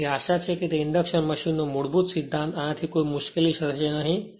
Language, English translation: Gujarati, So, hopefully that basic principle of that your induction machine a hope it will not create any problem for you